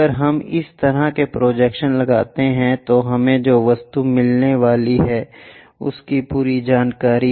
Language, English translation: Hindi, If we do such kind of projections, the complete information about the object we are going to get